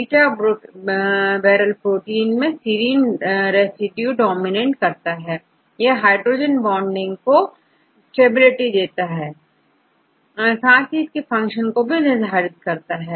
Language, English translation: Hindi, Beta barrel protein have high dominance of serine residues to form the hydrogen bonding network to maintain the stability and the function was a structure of these barrels right